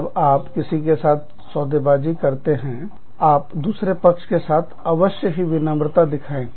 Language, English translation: Hindi, When you are bargaining, with anyone, you must show courtesy, to the other bargaining team